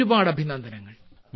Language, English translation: Malayalam, Many good wishes